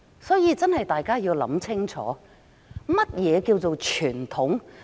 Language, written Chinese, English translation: Cantonese, 所以，大家要想清楚，何謂傳統？, Therefore we should ponder on the question What is tradition?